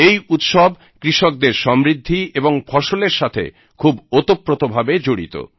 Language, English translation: Bengali, These festivals have a close link with the prosperity of farmers and their crops